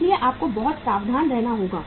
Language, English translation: Hindi, So you have to be very very careful